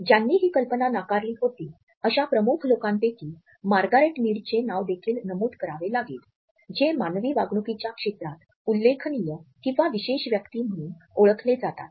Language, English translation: Marathi, Among the prominent people who had rejected this idea we also have to mention the name of Margaret Mead who is also known for otherwise path breaking research in the field of human behavior